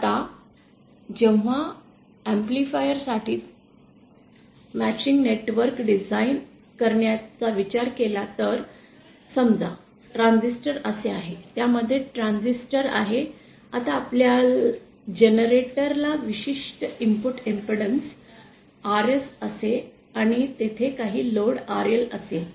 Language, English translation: Marathi, Now when it comes to designing matching networks for amplifiers, let us suppose our amplifier is like this, state has a transistor, some transistor inside it, now your generator will have certain input impedance RS and there will be some load RL